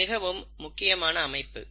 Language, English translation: Tamil, Now this is important